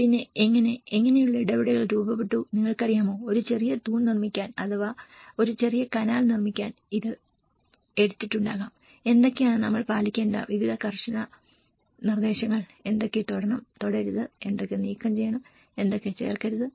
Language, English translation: Malayalam, And how, what kind of interventions have been formed you know, to make a small pillar it might have taken this to make a small canal, what are the various strict instructions we have to follow, what to touch and what not to touch, what to remove and what not to add